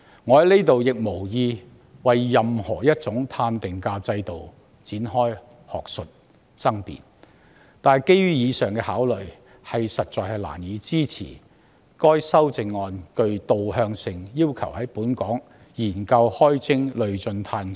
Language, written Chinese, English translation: Cantonese, 我無意就任何一種碳定價制度展開學術爭辯，但基於上述考慮，我實在難以支持該項具導向性的修正案，要求當局"研究開徵累進'碳稅'"。, I have no intention to initiate an academic debate on any carbon pricing system but based on the aforementioned considerations I can hardly support this action - oriented amendment which advises the authorities on conducting a study on levying a progressive carbon tax